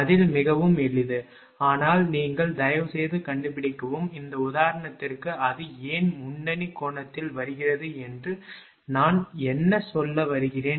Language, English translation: Tamil, Answer is very simple, but you please find out, what is a I mean why it is coming leading angle for this example right